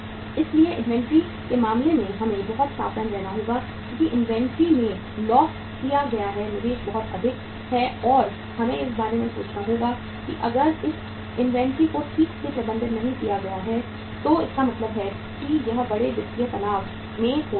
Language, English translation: Hindi, So in case of inventory we will have to be very very careful because investment locked in the inventory is very high and we will have to think about that if this inventory is uh not managed properly firm can means under a can be under a big financial stress